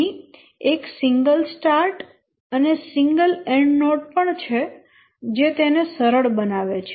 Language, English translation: Gujarati, Here also one single start and single end node that makes it easier as we already mentioned